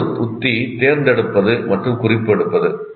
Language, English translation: Tamil, And another one, another strategy is selecting and note taking